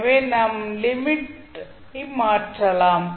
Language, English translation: Tamil, So, you can simply change the limit